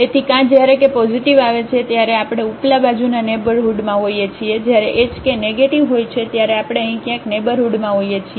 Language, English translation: Gujarati, So, either when k positives, we are in the neighborhood of upper side when the h k is negative we are in the neighborhood somewhere here